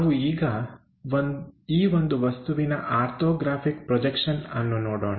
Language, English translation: Kannada, Let us look at orthographic projections of this particular object